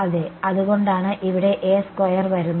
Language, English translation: Malayalam, Yeah, that is why at this A square comes in